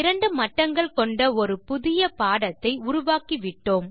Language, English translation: Tamil, We have created a new training lecture with two levels